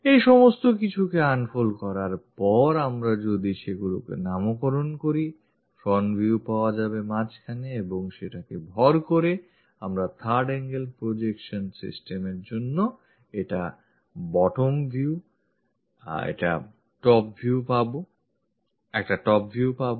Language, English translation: Bengali, After unfolding all these things, if we are naming it, the front view will be at middle and supported by that, we will have a bottom view, a top view this is for third angle projection system